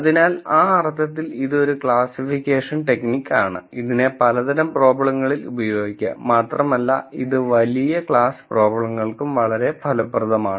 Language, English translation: Malayalam, So, in that sense this is a classification technique, that is used in a wide variety of problems and it is surprisingly effective for a large class of problems